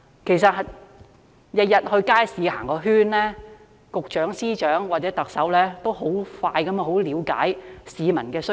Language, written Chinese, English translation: Cantonese, 其實，只要每天到街市逛個圈，局長、司長或特首便可以很快速地了解到市民的需求。, Actually if the Directors of Bureaux Secretaries of Departments or the Chief Executive could simply visit the market every day they will quickly come to understand peoples needs